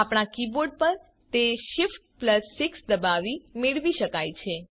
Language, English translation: Gujarati, In our keyboard, it is obtained by pressing shift+6